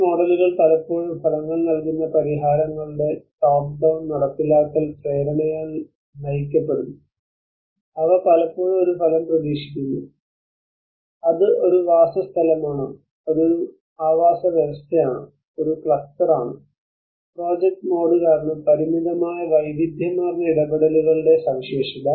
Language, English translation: Malayalam, These models often driven by the top down implementation push of a result given solutions they often expect a result whether it is a dwelling, whether it is a habitat, whether it is a cluster, and is characterized by limited a variety of interventions so because the project mode